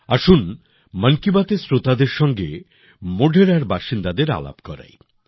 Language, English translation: Bengali, Let us also introduce the listeners of 'Mann Ki Baat' to the people of Modhera